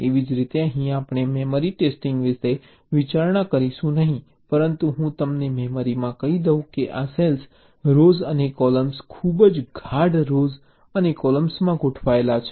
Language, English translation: Gujarati, of course here we shall not be considering memory testing, but let me tell you, in memory this, cells are arranged in rows and columns